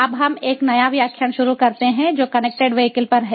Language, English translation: Hindi, now we start a new lecture, which is on connected vehicles